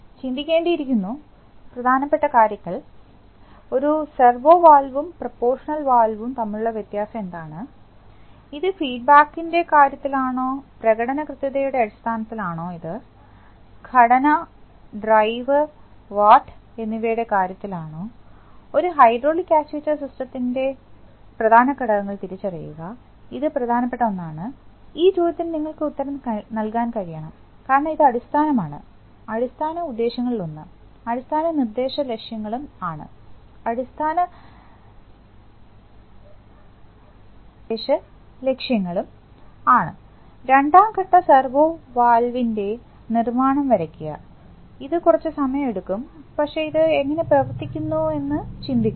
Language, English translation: Malayalam, Last points to ponder, yeah, what is the difference between a salvo valve and proportional valve, is it in terms of feedback, is it in terms of performance accuracy, is it in terms of structure, drive, watt, identify the major components of a hydraulic actuation system, this is one of the major, this question you should be able to answer because this is the basic, one of the basic purposes, basic instructional objectives, sketch the construction of a two stage servo valve, this is going to take some time, but think about it how it works